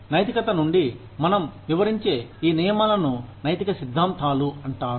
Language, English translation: Telugu, Now, these rules, that we elucidate from morals, are called ethical theories